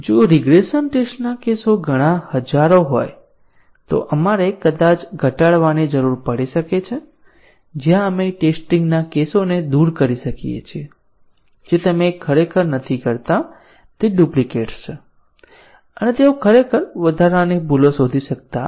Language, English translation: Gujarati, If the regression test cases are too many thousands then we might need to do minimization, where we remove test cases which you do not really they are kind of duplicates and they do not really detect additional bugs